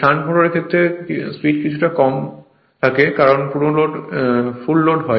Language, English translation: Bengali, In the case of a shunt motor speed slightly drops and full load